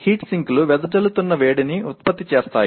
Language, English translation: Telugu, Heat sinks produce dissipate heat